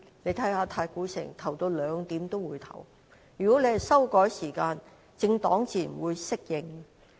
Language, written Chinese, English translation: Cantonese, 如果政府修改投票時間，政黨自然會適應。, If the polling hours are changed by the Government political parties will naturally adapt to the change